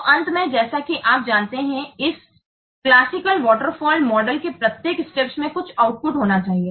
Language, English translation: Hindi, So, finally, as you know that every stage of this classical waterfall model, it contains some output should be there